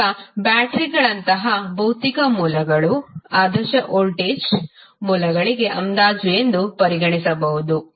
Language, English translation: Kannada, Now, physical sources such as batteries maybe regarded as approximation to the ideal voltage sources